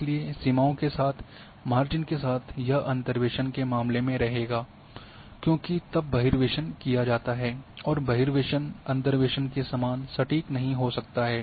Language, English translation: Hindi, So along the margins along the borders this will remain there in case of interpolation, because then extrapolation is done and extrapolation may not be as accurate as interpolation